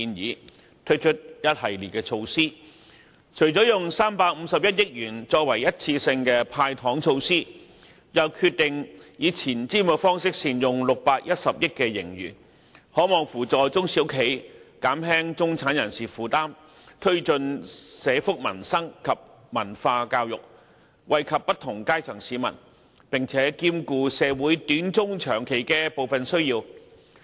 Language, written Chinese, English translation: Cantonese, 預算案推出了一系列措施，除了使用351億元作為一次性"派糖"之外，又決定以前瞻方式善用610億元盈餘，這能扶助中小型企業，減輕中產人士負擔，推進社福民生及文化教育，惠及不同階層市民，並兼顧社會短、中、長期的部分需要。, The Budget puts forward a host of measures including the handing out of one - off sweeteners worth 35.1 billion and a forward - looking decision on making good use of 61 billion of our surplus . All this can help small and medium enterprises SMEs alleviate the burdens of middle - class people improve social welfare and peoples livelihood and promote culture and education . In brief the Budget can benefit people from different social strata in addition to meeting some of the short - medium - and long - term interest of society